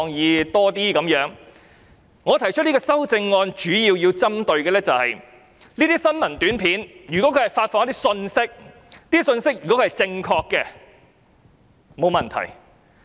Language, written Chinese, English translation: Cantonese, 因此，我今天提出這項修正案主要想針對的是，如果新聞短片所發放的信息是正確的，那當然沒有問題。, I propose this amendment today to target the messages of APIs . There is definitely no problem if the messages of APIs are correct